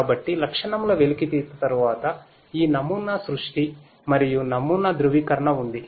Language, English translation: Telugu, So, following feature extraction there is this model creation and model validation